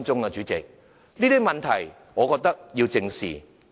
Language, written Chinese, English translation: Cantonese, 我覺得這些問題需要正視。, In my view these problems need to be squarely addressed